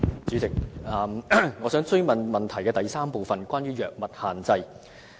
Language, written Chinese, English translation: Cantonese, 主席，我想追問主體質詢的第三部分，關於藥物限制。, President I wish to follow up part 3 of the main question regarding the restrictions of drugs